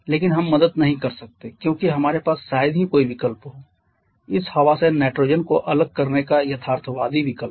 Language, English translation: Hindi, But we cannot help because we have hardly any option harden realistic option of separating nitrogen from this air